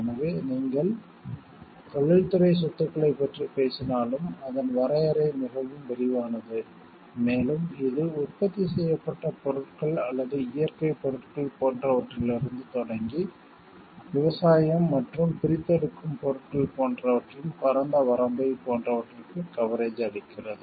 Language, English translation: Tamil, So, what you see like even if you are talking of industrial property, it is the definition is very wide, and it gives coverage to almost, like the wide gamut of things starting from like manufactured products or natural products and like me to agricultural and extractive products also